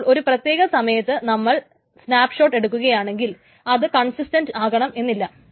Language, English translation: Malayalam, So at some point in time if you take a snapshot it may not be consistent